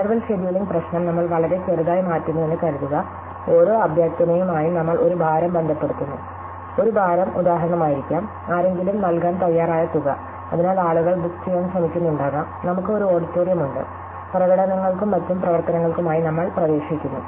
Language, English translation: Malayalam, So, suppose we change the interval scheduling problem very slightly, we associate with each request a weight, a weight could be for example, the amount somebody is willing to pay, so may be people are trying to book, so we have an auditorium which we rent out for performances and other activities